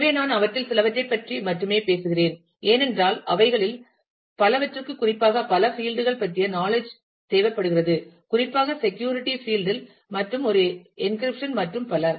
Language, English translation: Tamil, So, and I am talking about only a few of them because, the many of them require knowledge about several other fields particularly, in the field of security and an encryption and so on